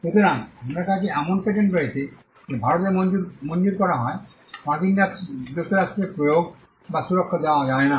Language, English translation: Bengali, So, you have a patent which is granted in India cannot be enforced or protected in the United States